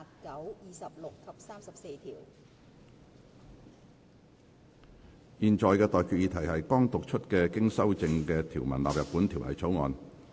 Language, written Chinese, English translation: Cantonese, 我現在向各位提出的待決議題是：剛讀出經修正的條文納入本條例草案。, I now put the question to you and that is That the clauses as amended read out just now stand part of the Bill